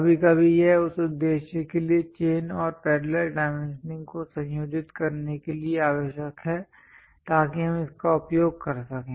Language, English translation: Hindi, Sometimes it is necessary to combine the chain and parallel dimensions for that purpose we use it